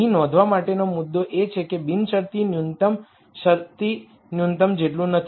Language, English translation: Gujarati, The key point to notice here is that the unconstrained minimum is not the same as the constraint minimum